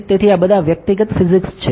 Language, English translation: Gujarati, So, these are all individual physics